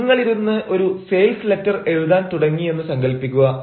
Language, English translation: Malayalam, but then, suppose you sit and start writing a sales letter